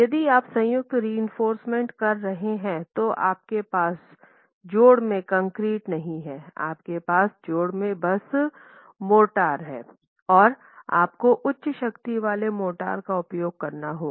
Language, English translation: Hindi, If you are placing joint reinforcement, you do not have concrete in the joint, you have just motor in the joint and you have to use high strength motors